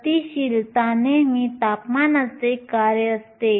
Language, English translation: Marathi, Mobility is usual a function of temperature